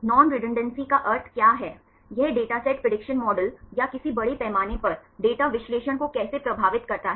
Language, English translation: Hindi, What is the meaning of non redundancy, how this datasets influence the prediction models or any large scale data analysis